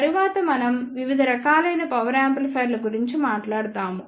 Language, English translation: Telugu, Next we will talk about the various classes of power amplifiers